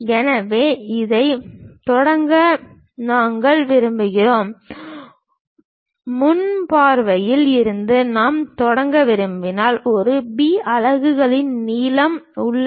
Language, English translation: Tamil, So, we would like to begin this one, from the front view if I would like to begin, then there is a length of A B units